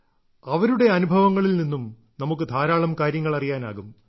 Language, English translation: Malayalam, We will also get to know a lot from their experiences